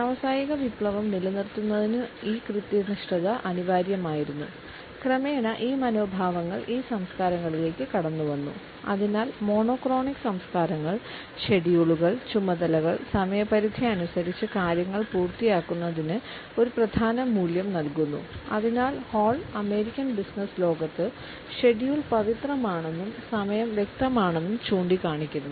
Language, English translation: Malayalam, This punctuality was necessary to maintain and sustain industrial revolution and gradually these attitudes have seeped into these cultures and therefore, monochronic cultures place a paramount value on schedules on tasks on completing the things by the deadline and therefore, Hall has gone to the extent to say that in the American business world, the schedule, is sacred and time is tangible